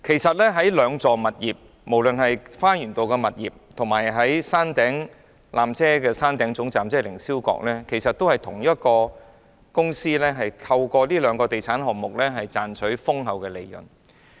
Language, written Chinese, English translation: Cantonese, 該兩幢物業，即花園道的纜車站及山頂的纜車總站，其實均屬同一公司轄下的地產項目，藉以賺取豐厚利潤。, The two properties that is the Garden Road Peak Tram Lower Terminus and the Peak Tram Upper Terminus are the property projects under the same company which bring huger profits to the company